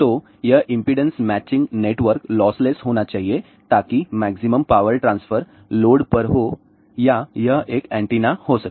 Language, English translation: Hindi, So, this impedance matching network should be lossless so that the maximum power transfer takes place to the load or it could be an antenna